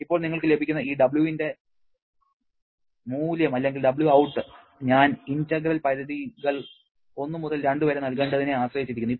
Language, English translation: Malayalam, Now, the value of this W that you are getting or let me know it say W out that depends upon what I should put the integration limits also 1 to 2